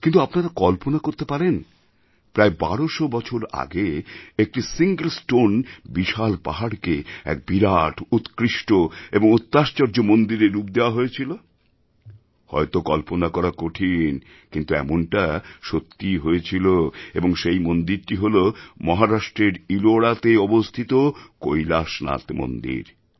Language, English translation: Bengali, All of us have seen houses and buildings being constructed of bricks and stones but can you imagine that about twelve hundred years ago, a giant mountain which was a single stone mountain was give the shape of an elegant, huge and a unique temple this may be difficult to imagine, but this happened and that temple is KailashNathMandir in Ellora, Mahrashtra